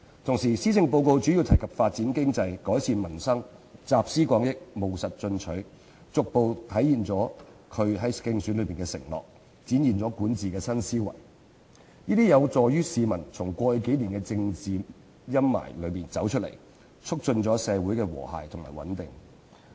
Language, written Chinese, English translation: Cantonese, 同時，施政報告主要提及發展經濟、改善民生，集思廣益、務實進取，逐步實現她的競選承諾，展現管治新思維，這將有助市民從過去數年的政治陰霾中走出來，促進社會和諧與穩定。, At the same time the Policy Address mainly focuses on promoting economic development and improving peoples livelihood drawing on collective wisdom in a pragmatic and proactive manner to gradually fulfil her election pledges and manifest her new governance philosophy . This is conducive to encouraging people to step out of the political shadows of the past few years and promoting social harmony and stability